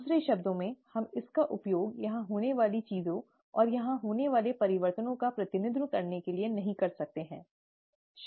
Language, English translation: Hindi, In other words, we cannot use it to represent things changes here, and changes here